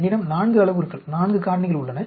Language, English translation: Tamil, I have 4 parameters, 4 factors